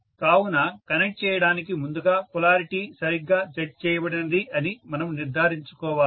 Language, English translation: Telugu, So, we have to make sure that the polarity is checked properly before connecting